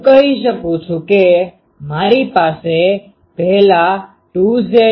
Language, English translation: Gujarati, Can I say that I have first a 2 Z t